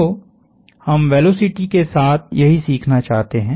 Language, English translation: Hindi, So, that is what we want to learn with velocity